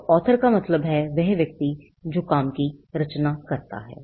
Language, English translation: Hindi, So, author by author we mean the person who creates the work